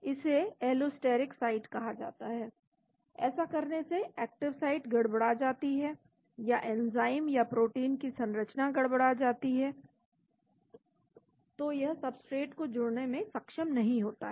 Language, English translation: Hindi, It is called allosteric site by doing that the active site gets disturbed or the structure of the enzyme or the protein gets disturbed so the substrate is not able to bind to that